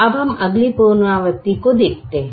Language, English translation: Hindi, now look at the next alteration